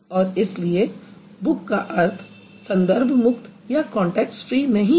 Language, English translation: Hindi, So that is why the meaning of book is not context free